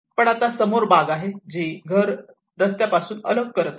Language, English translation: Marathi, But because of we have the front garden which is detaching the house from the street